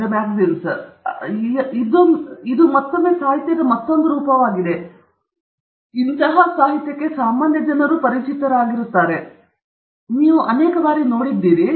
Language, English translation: Kannada, So, this is again another form of literature that you are likely familiar with, and you have seen many times